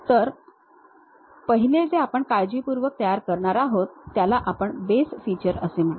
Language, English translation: Marathi, So, the first one what we are going to construct carefully that is what we call base feature